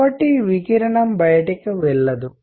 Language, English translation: Telugu, So, that the radiation does not go out